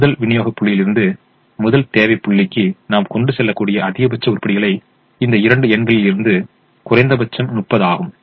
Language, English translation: Tamil, so the maximum we can transport from the first supply point to the first demand point is the minimum of these two numbers, which is thirty